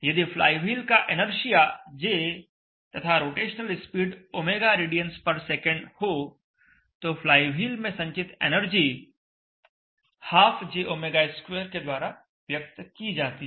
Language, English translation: Hindi, So the flywheel is having an inertia J and rotational speed Omega in radians per second then the energy contained within the flywheel is given by ½ J